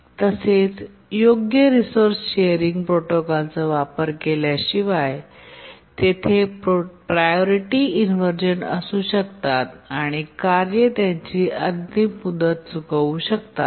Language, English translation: Marathi, Support for resource sharing protocols, because without use of proper resource sharing protocols, there can be priority inversions and tasks may miss their deadline